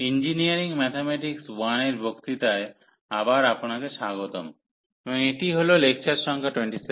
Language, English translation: Bengali, So, welcome back to the lectures on Engineering Mathematics 1, and this is lecture number 27